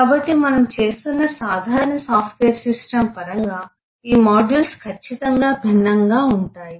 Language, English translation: Telugu, so, in terms of a typical software system that we are doing, the modules are certainly different